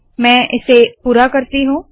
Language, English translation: Hindi, So let me complete this